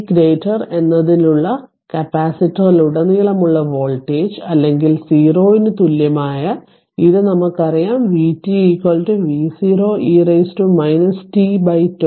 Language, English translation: Malayalam, Thus the voltage across the capacitor for t greater than or equal to 0 we know this know v t is equal to V 0 e to the power minus t by tau